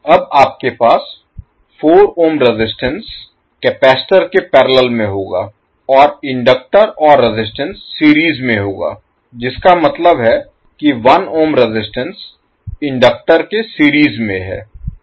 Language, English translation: Hindi, You will have 4 ohm resistance in parallel now with the capacitor and the inductor and resistance will be in series that is 1 ohm resistance in series with the inductance